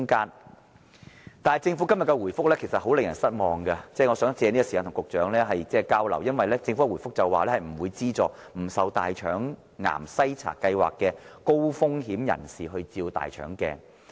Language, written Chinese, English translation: Cantonese, 然而，政府今天的回覆令人很失望，我想藉着這個時間與局長作交流，因為政府在回覆中說不會資助不受大腸癌篩查先導計劃覆蓋的高風險人士接受大腸鏡檢查。, The reply given by the Government today however is most disappointing . I would like to take this opportunity to exchange views with the Secretary because the Government has indicated in its reply that people with high risk not covered by the Colorectal Cancer Screening Pilot Programme will not receive any subsidy for receiving colonoscopy examination